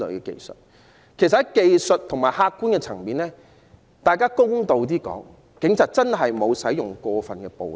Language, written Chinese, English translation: Cantonese, 其實，在技術和客觀層面，公道而言，警方真的沒有過分使用暴力。, In fact from an objective and technical perspective in all fairness the Police had not really used excessive force